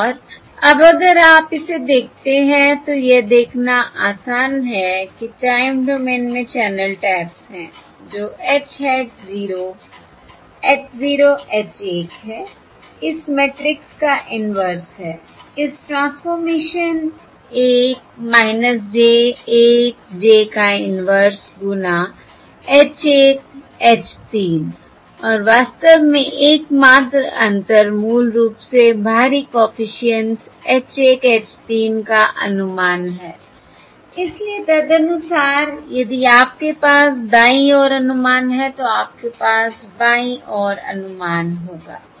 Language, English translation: Hindi, And now, if you look at this, therefore, now if you look at this, it is easy to see that the channel taps in the time domain, that is, h, hat 0, h 0, h 0, h 1 is the inverse of this matrix, this transformation matrix: 1 minus j 1, j, the inverse of this times: H 1, H 3, And in fact the only difference is, basically we have the estimates of the external coefficients H 1, H 3